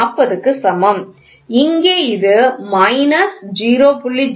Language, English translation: Tamil, 0, it will be here minus 0